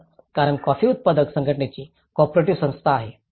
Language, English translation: Marathi, So, because being a cooperative society of the coffee growers association